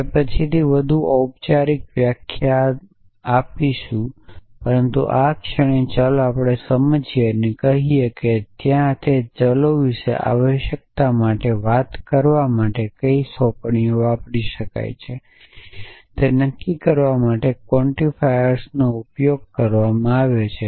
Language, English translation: Gujarati, So, we will come to the more formal definition later, but at this moment let us understand and say there are quantifiers are use to quantify what assignments can be used for talking about those variables essentially